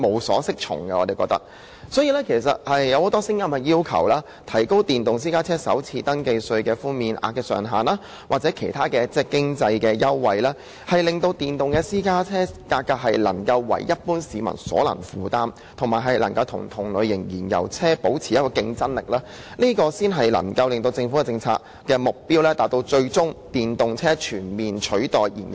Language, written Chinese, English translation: Cantonese, 所以，現時有很多聲音也要求政府提高電動私家車首次登記稅的寬免上限，或提供其他經濟優惠，使電動私家車價格能夠為一般市民所能負擔，同時可與同類型燃油車保持競爭力，這才能夠達到政府政策的最終目標，就是以電動車全面取代燃油車。, Hence many people have voiced out to the Government asking it to raise the cap on the FRT concession for EVs or provide other economic concessions so as to make EVs affordable to the general public and enable EVs to remain competitive with their corresponding fuel - engined models . This is the only way to achieve the ultimate target of the Governments policy and that is to comprehensively replace fuel - engined vehicles with EVs